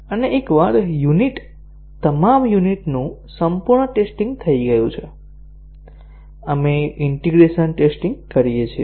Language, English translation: Gujarati, And once a unit, all the units have been fully tested, we do the integration testing